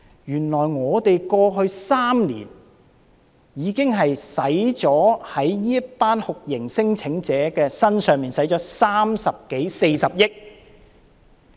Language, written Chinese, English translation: Cantonese, 原來過去3年，我們已經在這些酷刑聲請者身上花了三十多四十億元。, The fact is that over the past three years we have already spent some 3 billion to 4 billion on these torture claimants